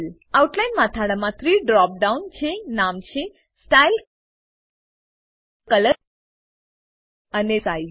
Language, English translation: Gujarati, Outline heading has 3 drop downs, namely, Style, Color and Size